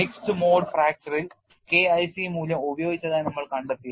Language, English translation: Malayalam, In mixed mode fracture we have found the K 1c value was used